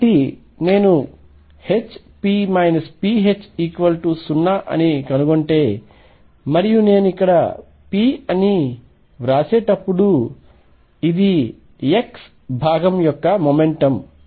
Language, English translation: Telugu, So, if I find that H p minus p H is 0 and by the way when I write p here this is the x component of the momentum p x